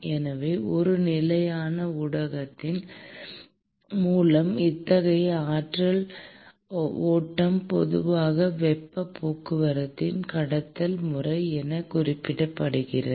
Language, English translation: Tamil, So, such kind of an energy flow through a stationary medium is typically referred to as a conduction mode of heat transport